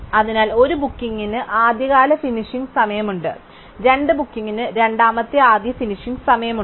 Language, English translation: Malayalam, So, booking 1 has an earliest finishing time, booking 2 has a second earliest finishing time and so on